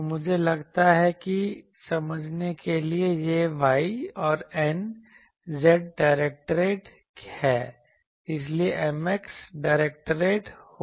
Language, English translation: Hindi, So, M will be I think to understand that this is y and n is z directed so, M will be x directed